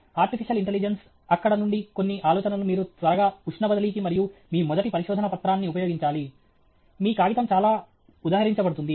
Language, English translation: Telugu, Artificial intelligence, some ideas from there you quickly put it to heat transfer and your first paper, your paper will become highly cited